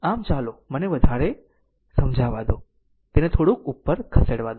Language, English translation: Gujarati, So, let me clear it let it move little bit up